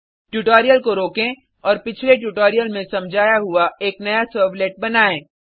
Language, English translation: Hindi, Pause the tutorial and create a new servlet as explained in the earlier tutorial